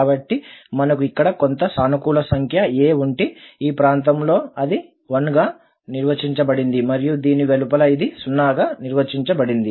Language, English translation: Telugu, So, if we have a here some positive number then in this region it is defined as 1 and outside this it is defined as 0